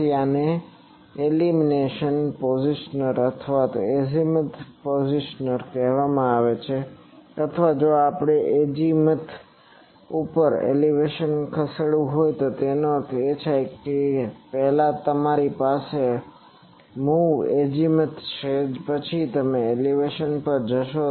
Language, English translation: Gujarati, So these are called azimuth over elevation positioner or if we want to move elevation over azimuth that means, first you have move azimuth; then it will go to elevation